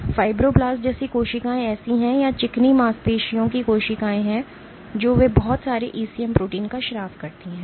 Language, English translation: Hindi, So, cells like fibroblasts are the ones or smooth muscle cells they secrete lots of ECM proteins